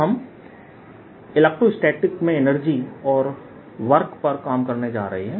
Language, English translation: Hindi, so what we are going to work on is the energy and work in electrostatics